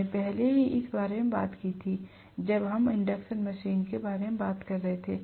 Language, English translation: Hindi, We already talked about this, when we were talking about the induction machine